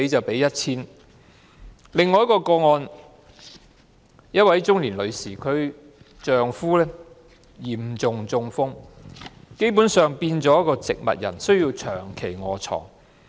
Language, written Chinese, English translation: Cantonese, 另一宗個案，一位中年女士的丈夫嚴重中風，基本上已變成植物人，需要長期臥床。, In another case the husband of a middle - aged woman had a serious stroke . He fell into a vegetative state basically and became bedridden